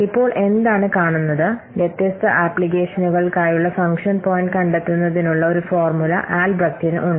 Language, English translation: Malayalam, Now what we'll see that Albreast has proposed a formula for finding out the function point of different applications